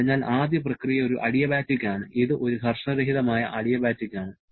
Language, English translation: Malayalam, So, the first process is an adiabatic one, it is a frictionless adiabatic